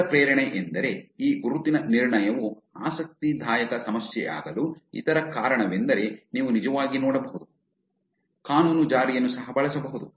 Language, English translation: Kannada, The other motivation also that the other reason why this identity resolution is an interesting problem is because you can actually look at even law enforcement can actually use this